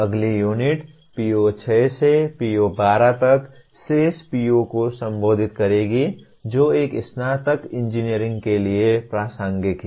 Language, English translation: Hindi, The next unit will address the remaining POs namely from PO6 to PO 12 that are relevant to a graduating engineer